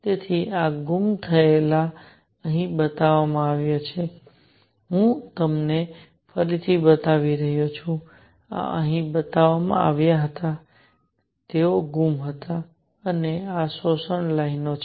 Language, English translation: Gujarati, So, missing these are shown here, I am just showing them again, these were shown here, they were missing and these are the absorption lines